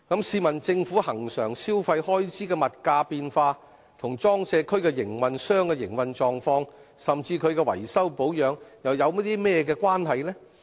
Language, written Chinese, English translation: Cantonese, 試問政府恆常消費開支的物價變化與裝卸區營運商的營運狀況，甚至其維修保養有何直接關係？, What direct relationship is there between the price changes in the regular government consumption expenditure and the operating conditions and even the maintenance works of PCWA operators?